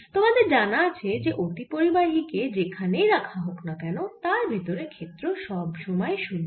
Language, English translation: Bengali, what you're given is that a superconductor, no matter where you put it, the field inside is always zero